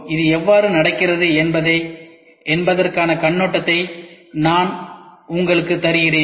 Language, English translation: Tamil, I am just giving you the overview how does it go about